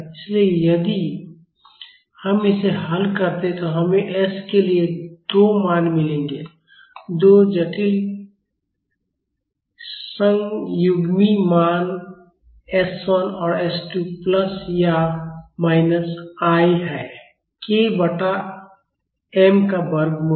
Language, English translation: Hindi, So, if we solve it we will get 2 values for s, 2 complex conjugate values s 1 and s 2 are plus or minus i square root of k by m